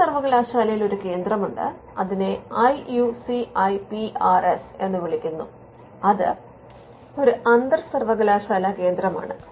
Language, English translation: Malayalam, Now, we have one in cochin university it is called the IUCIPRS which is in centre it is an inter university centre